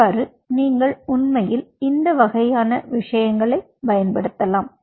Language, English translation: Tamil, so you can actually use these kind of things